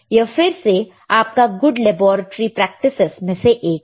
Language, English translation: Hindi, So, again a part of your good laboratory practices, cool, all right